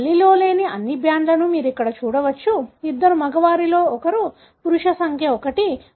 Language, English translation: Telugu, So, you can see here all the bands that were missing in the mother, were present in one of the two males, male number 1